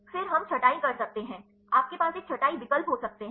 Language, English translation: Hindi, Then we can sorting you can have a sorting options